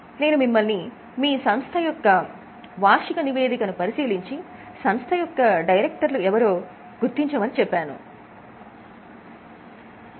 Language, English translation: Telugu, I had also asked you to check in your annual report who are the directors of your company